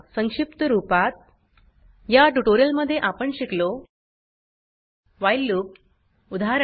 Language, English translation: Marathi, Let us summarize In this tutorial we learned, while loop example